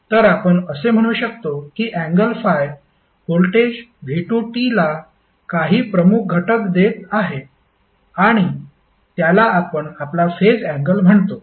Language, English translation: Marathi, So, what we can say that the angle that is 5 is giving some leading edge to the voltage v2 and that is called our phase angle